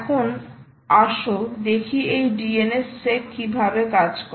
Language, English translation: Bengali, now let us see how does dns sec work